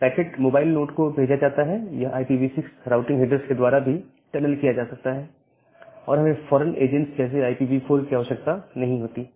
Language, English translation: Hindi, Now, the packet sends to a mobile node, it can be tunneled by IPv6 routing headers and we do not require the foreign agents like IPv4